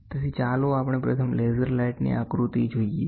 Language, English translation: Gujarati, So, let us first look at the diagram laser light